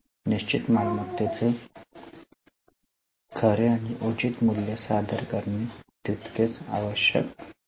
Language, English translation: Marathi, It is equally true to present the true and fair value of fixed assets